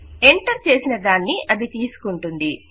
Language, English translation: Telugu, It takes what has been entered